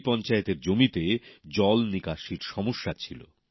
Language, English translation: Bengali, This Panchayat faced the problem of water drainage